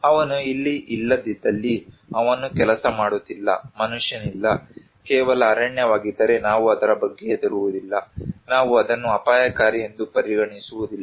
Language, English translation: Kannada, If it is like that where he is not here, he is not working, no human being, only forest, then we do not care about it, we do not consider it as risky